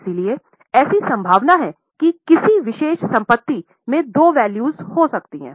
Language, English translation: Hindi, So, there is a possibility that a particular asset can have two values